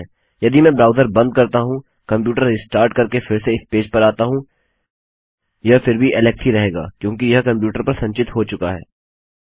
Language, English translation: Hindi, Even if I close my browser, restart my computer and came back into this page, it will still read Alex because its been stored into the computer